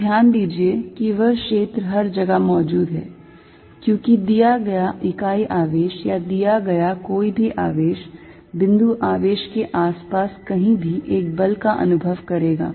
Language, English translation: Hindi, So, notice that field exist everywhere, because given a unit charge or given any charge, anywhere around the point charge is going to experience a force